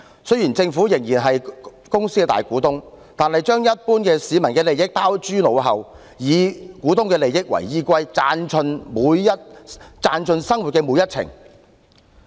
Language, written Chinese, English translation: Cantonese, 雖然政府仍然是港鐵公司的大股東，但卻將一般市民的利益拋諸腦後，以股東的利益為依歸，賺盡生活每一程。, Although the Government is still the majority shareholder of MTRCL it clean forgets the interests of the general public and only bears in mind the interests of shareholders so it tries to make the most money out of their daily journeys